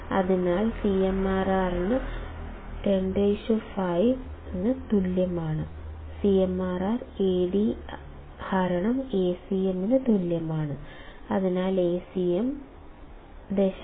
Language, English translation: Malayalam, CMRR equals to Ad by Acm, so Acm would be nothing, but 0